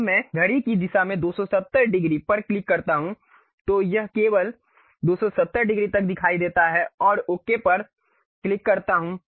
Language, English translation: Hindi, When I click 270 degrees in the clockwise direction, it showed only up to 270 degrees and click Ok